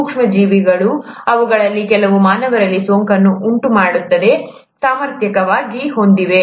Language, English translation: Kannada, The micro organisms, some of which have the capability to cause infection in humans